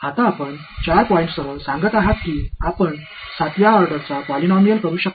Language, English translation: Marathi, Now, you are saying with 4 points you can do a 7th order polynomial ok